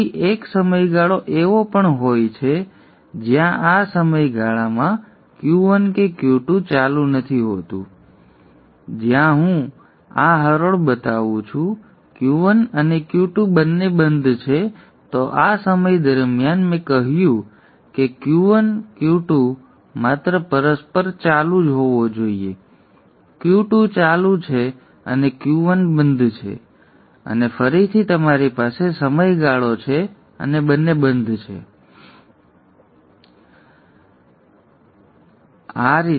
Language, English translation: Gujarati, For now the important point for you to focus on is that Q1 is on during this period then there is a period of time where neither Q1 nor Q2 is on in this period of time where I am showing this arrow both Q1 and Q2 are off then during this time I said that Q1 and Q2 should be on mutually exclusively